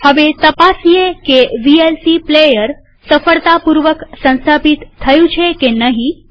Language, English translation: Gujarati, Now, let us verify if the vlc player has been successfully installed